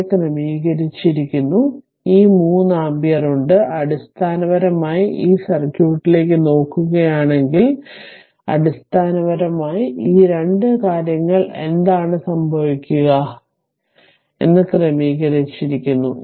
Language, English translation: Malayalam, And this is sorted, this is sorted and this 3 ampere is there that to so basically if you look into this circuit, so basically it what will happen at these two things are sorted